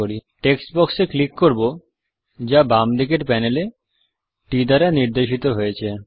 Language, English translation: Bengali, Let us click the Text box, indicated by T, from the left hand side panel